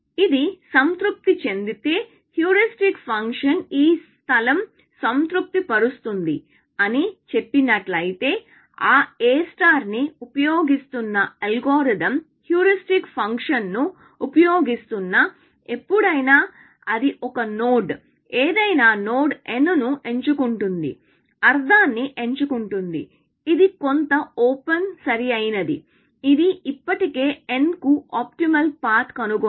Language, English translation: Telugu, If this is satisfied, if the heuristic function said that it satisfies this property, then the algorithm which is using that A star, which is using that heuristic function; whenever, it picks a node, any node n; picks meaning, it picks some open, right; it has already found an optimal path to n